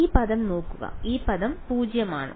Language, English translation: Malayalam, Look at this term right this term is non zero where